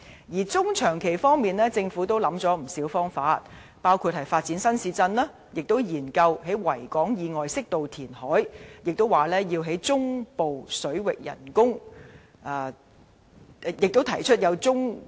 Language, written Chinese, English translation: Cantonese, 在中長期方面，政府也想出不少方法，包括發展新市鎮，以及研究在維港以外適度填海，提出中部水域人工島項目。, In the medium and long run the Government has devised many methods as well including new town developments studies on reclamation on an appropriate scale outside Victoria Harbour and the proposal of artificial islands in the central waters